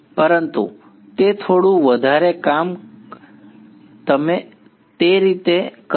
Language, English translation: Gujarati, But its a little bit more work you will do that way